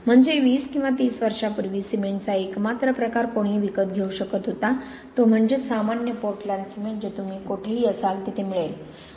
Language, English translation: Marathi, I mean 20 or 30 years ago, the only type of cement anybody could buy was ordinary Portland cement which was pretty much the same wherever you were